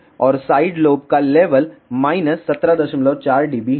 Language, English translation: Hindi, And the side lob level is minus17